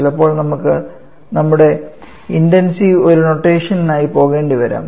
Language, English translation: Malayalam, Sometimes we may have to go for an intensive notation in that case